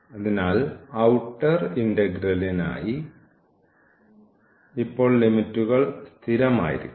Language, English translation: Malayalam, So, for the outer integral now the limits must be constant